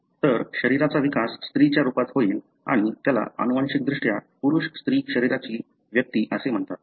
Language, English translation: Marathi, So, the body would develop as a female and that is called as, genetically male female bodied individual